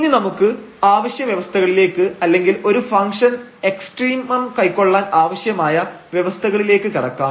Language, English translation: Malayalam, And then we come to the necessary conditions or condition for a function to have extremum